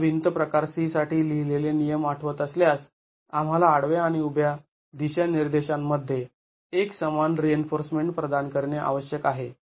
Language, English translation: Marathi, If you remember the prescriptions for wall type C, we need to provide uniform reinforcement in both horizontal and vertical directions